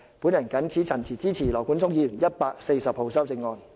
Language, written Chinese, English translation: Cantonese, 我謹此陳辭，支持羅冠聰議員提出的第140號修正案。, With these remarks I support Amendment No . 140 moved by Mr Nathan LAW